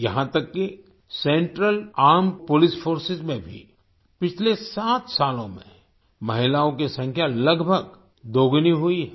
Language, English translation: Hindi, Even in the Central Armed Police Forces, the number of women has almost doubled in the last seven years